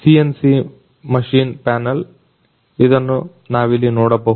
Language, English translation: Kannada, CNC machine panel which we can see here